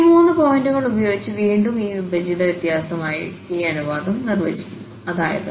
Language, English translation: Malayalam, So, here this ratio we are defining as this divided difference again with these three points, that is x 2 x 1 and x naught